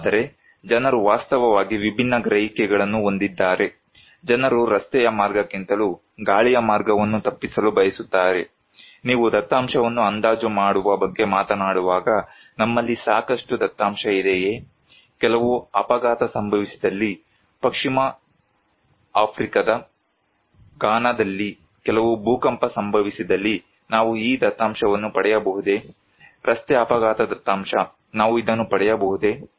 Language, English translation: Kannada, But people have actually very different perceptions, people want to avoid by air than by road also, when you are talking about estimating data, do we have enough data; if there is some accident, some earthquake happened in Ghana in Western Africa, can we get this data; road accident data, can we get it